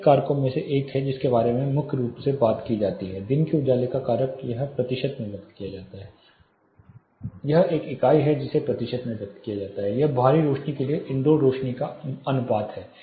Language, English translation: Hindi, One of the main factors primarily which is talked about is daylight factor it is expressed in percentage it is a unit expressed in percentage it is nothing but the ratio of illumination which is available indoor to that of what is available outdoor